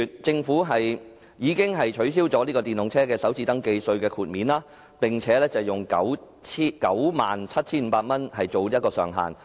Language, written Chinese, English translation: Cantonese, 政府在去年4月取消電動車豁免首次登記稅的措施，並以 97,500 元作為上限。, In April last year the Government abolished the full waiver of first registration tax for EVs and instead capped their first registration tax concession at 97,500